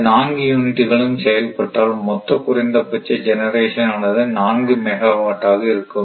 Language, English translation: Tamil, So, if all the units are operating say then total minimum generation will be 4 megawatt